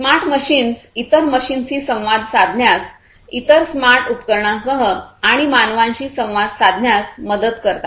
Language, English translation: Marathi, Smart machines help in communicating with other machines, communicating with other smart devices, and communicating with humans